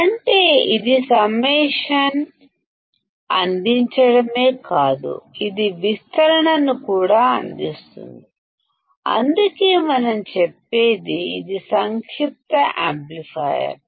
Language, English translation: Telugu, That means, it is not only providing the summation; it is also providing the amplification, and that is why; what we do say is this is a summing amplifier